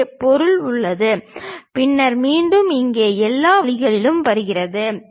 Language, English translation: Tamil, So, material is present, then again it comes all the way here